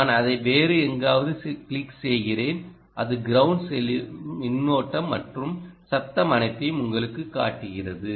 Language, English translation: Tamil, i was clicking it somewhere else and it was showing you all the current and noise that was going to ground